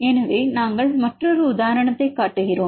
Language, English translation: Tamil, So, we show another example